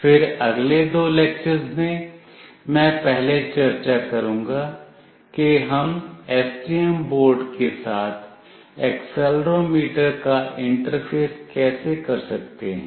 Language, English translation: Hindi, Then in the subsequent next two lectures, I will first discuss that how we can interface an accelerometer with STM board